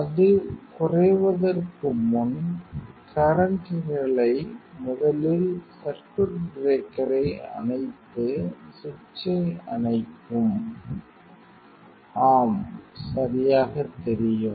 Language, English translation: Tamil, And before that decrease, the current level first then switch off the circuit breaker and switch off the switch, yes correct know